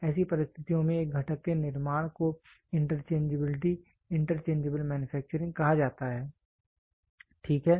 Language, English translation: Hindi, The manufacturing of a component under such conditions is called as interchangeability interchangeable manufacturing, ok